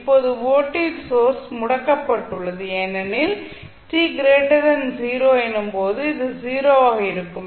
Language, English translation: Tamil, So the voltage source is applied to the circuit only when t less than 0